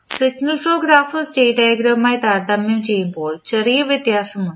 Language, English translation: Malayalam, Now, the difference between signal flow graph and state diagram is the integration operation